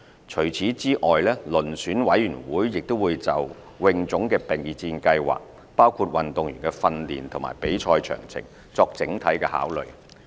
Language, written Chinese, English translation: Cantonese, 除此之外，遴選委員會亦會就泳總的備戰計劃，包括運動員的訓練和比賽詳情，作整體考慮。, Apart from the athletes results in recent years the Selection Committee would also take into account HKASAs preparation plan for the Asian Games including the training and competitions of swimming athletes in an overall assessment